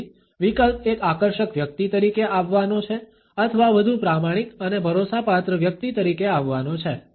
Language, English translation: Gujarati, So, the option is either to come across as an attractive person or is a more honest and dependable person